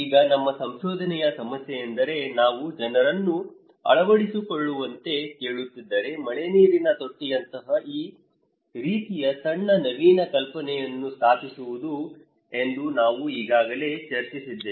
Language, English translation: Kannada, Now, we discussed already also that our research problem is that if when we are asking people to adopt, install this kind of small innovative idea like rainwater tank